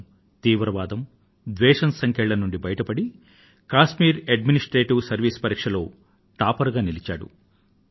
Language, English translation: Telugu, He actually extricated himself from the sting of terrorism and hatred and topped in the Kashmir Administrative Examination